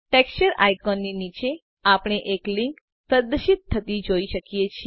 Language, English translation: Gujarati, Just below the Texture icon, we can see the links displayed